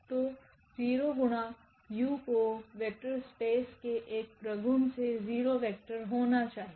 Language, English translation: Hindi, So, 0 into u that is a property of the vector space this should be 0 vector then